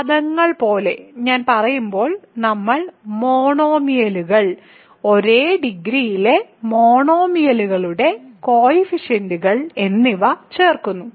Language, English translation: Malayalam, So, when I say like terms that is, we add monomials, coefficients of monomials of same degree ok